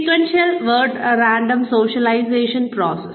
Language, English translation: Malayalam, Sequential versus random socialization processes